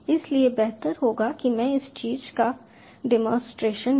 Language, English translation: Hindi, so it would be better if i give a demonstration of this thing